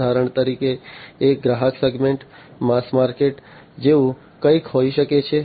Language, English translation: Gujarati, For example, one customer segment could be something like the mass market